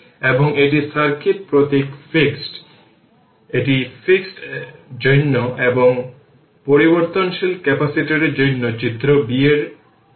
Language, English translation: Bengali, And this is circuit symbol fixed, this is for fixed and this is for figure b for variable capacitor right